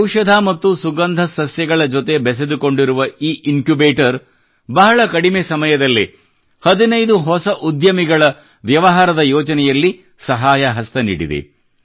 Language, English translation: Kannada, In a very short time, this Incubator associated with medicinal and aromatic plants has supported the business idea of 15 entrepreneurs